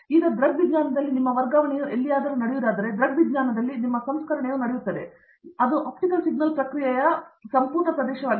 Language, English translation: Kannada, Now, if you can do everything in optics, where your transfer happens in optics, your processing happens in optics, that’s the whole area of optical signal processing